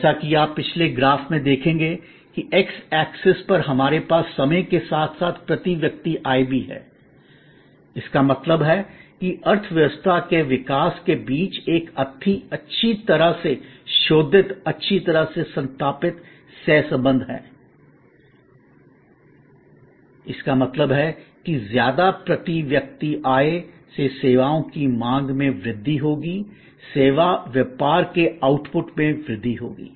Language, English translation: Hindi, As you will see in the previous graph, that on the x axis we have time as well as per capita income; that means, there is a tight well researched well established co relation between the development of the economy; that means, that is more per capita income will enhance the demand for services, service business outputs will increase